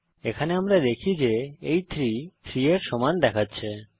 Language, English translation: Bengali, Here we see it is showing 3 is equal to 3